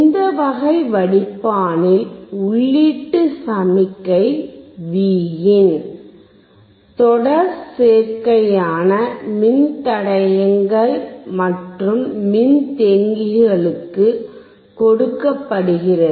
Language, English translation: Tamil, In this type of filter arrangement, the input signal Vin input signal is applied to the series combination of both resistors and capacitors together